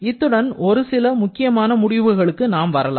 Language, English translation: Tamil, So, with this we can have a few important conclusions